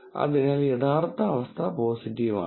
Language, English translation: Malayalam, So, the actual condition is positive